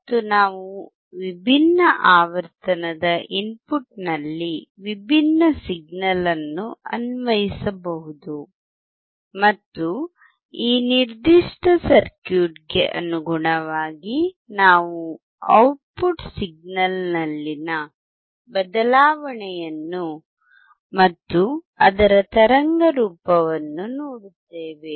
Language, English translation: Kannada, And we can apply different signal at the input of different frequency and correspondingly for this particular circuit we will see the change in the output signal and also its waveform